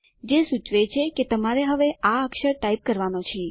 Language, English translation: Gujarati, It indicates that it is the character that you have to type now